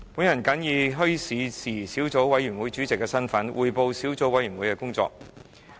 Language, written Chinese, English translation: Cantonese, 我謹以墟市事宜小組委員會主席的身份匯報小組委員會的工作。, I would like to report on the work of the Subcommittee on Issues Relating to Bazaars in my capacity as Chairman of the Subcommittee